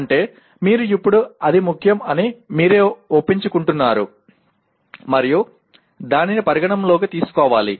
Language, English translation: Telugu, That means you now are convincing yourself that it is important and it needs to be taken into consideration